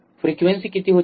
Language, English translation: Marathi, What was frequency